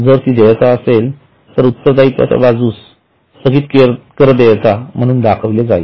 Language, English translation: Marathi, If it is a liability, it will be shown as a deferred tax liability